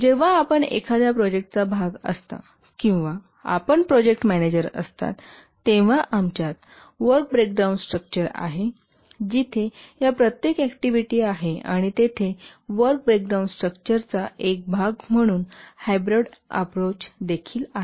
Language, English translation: Marathi, When you are part of a project or you are the project manager, don't be surprised to see that we have work breakdown structure where each of these activities, each of these are activities and also a hybrid approach where there are activities and also deliverables as part of the work breakdown structure